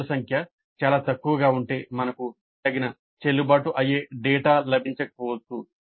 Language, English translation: Telugu, If the length is too small, if the number of questions is too small, we may not get adequate valid data